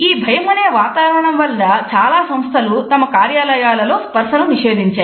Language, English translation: Telugu, This climate of fear has forced many organizations to prohibit the use of touch in the workplace